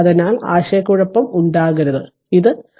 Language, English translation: Malayalam, So, there should not be any confusion and this is your 13 ohm